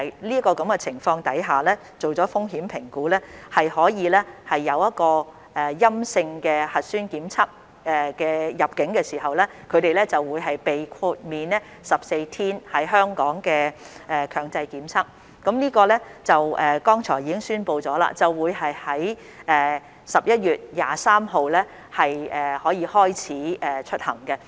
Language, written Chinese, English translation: Cantonese, 在完成風險評估後，入境時持有陰性核酸檢測結果的人士，將可獲豁免在港接受14天強制檢疫，而剛才亦已宣布，該計劃將於11月23日開始實行。, Upon completion of the risk assessment arrivals to Hong Kong with negative nucleic acid test results will be exempted from the 14 - day compulsory quarantine requirement . And as announced earlier on the Scheme will roll out on 23 November